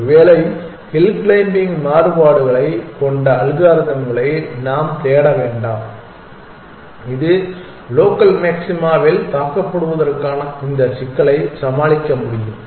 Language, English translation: Tamil, Maybe then, we need to look for algorithms which have variations of hill climbing which can overcome this problem of getting struck in the local maxima